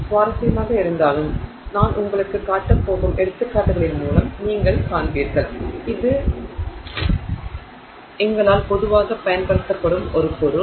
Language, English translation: Tamil, Interestingly though, you will find through the examples that I am going to show you that it is a material that is very commonly being used by us